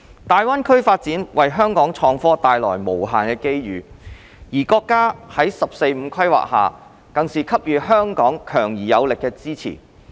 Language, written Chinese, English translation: Cantonese, 大灣區發展為香港創科帶來無限的機遇，而國家在"十四五"規劃下更是給予香港強而有力的支持。, The GBA development brings unlimited opportunities to the IT sector of Hong Kong and the country has given Hong Kong strong and powerful support under the 14th Five - Year Plan